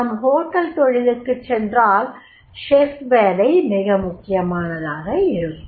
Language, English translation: Tamil, When we go for the hotel industries, the chef, the chef job becomes very, very important the job